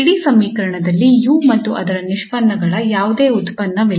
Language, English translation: Kannada, There is no product of u and its derivative appearing in the whole equation